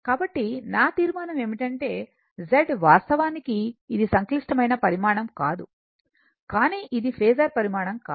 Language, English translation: Telugu, So, hence my conclusion is that this thing that Z actually is not it is a complex quantity, but it is not a phasor quantity right